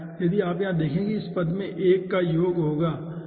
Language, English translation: Hindi, if you see over here, that will be 1 plus of this term